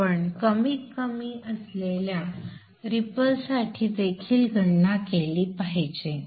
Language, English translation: Marathi, You should also calculate for the ripple that is minimum